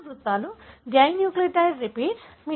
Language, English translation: Telugu, The repeats are dinucleotide repeats